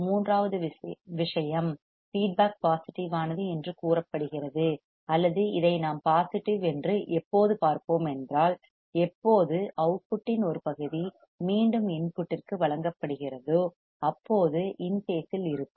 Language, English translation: Tamil, Third thing the feedback the feedback is said to be positive or when we can see it is a positive when the part of the output signal that is fed back to the input is in phase in phase